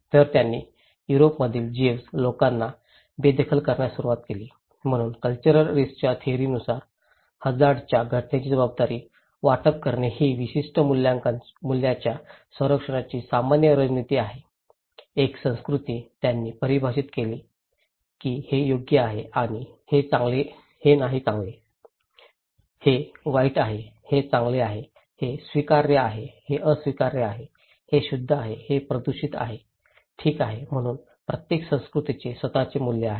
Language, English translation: Marathi, So, they started to evict Jews people in Europe, so according to the cultural theory of risk, the allocation of responsibility of hazard event is normal strategy for protecting a particular set of values, one culture they define that this is right and this is not good, this is bad this is good, this is acceptable, this is unacceptable, this is pure, this is polluted okay, so each culture have their own values